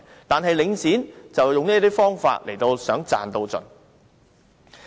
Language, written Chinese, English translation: Cantonese, 但是，領展則用這些方法賺到盡。, However Link REIT has been using these methods to achieve profit maximization